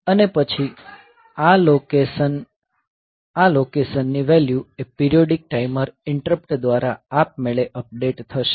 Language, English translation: Gujarati, And then this location; the values of these locations will be updated automatically through a periodic timer interrupt